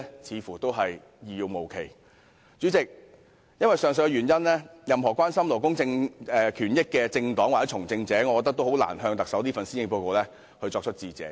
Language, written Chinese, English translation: Cantonese, 主席，由於上述原因，我認為任何關心勞工權益的政黨或從政者皆難以感謝特首發表施政報告。, President for the aforesaid reasons I think any political parties or politicians concerned about labour rights and interests can hardly thank the Chief Executive for presenting the Policy Address